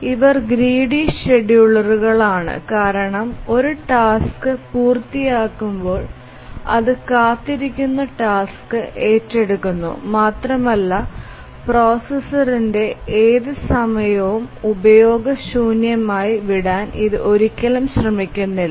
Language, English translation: Malayalam, These are grid schedulers because whenever a task completes it takes up the task that are waiting and it never tries to leave any time the processor onutilized